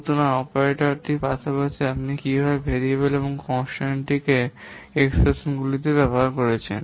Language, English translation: Bengali, So, the operands are those variables and the constants which are being used in operators in expression